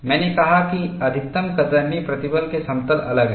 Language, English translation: Hindi, I said the planes of maximum shear stress, is different